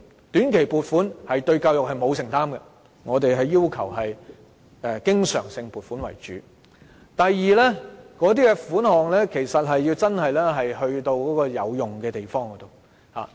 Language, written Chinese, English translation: Cantonese, 短期撥款對教育欠缺承擔，我們要求以經常性撥款為主；第二，款項要真的花在有用的地方。, Since the Government cannot made a big commitment on education with short - term funding recurrent funding is preferred; and second the funding should be used on useful places